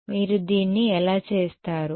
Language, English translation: Telugu, How would you do this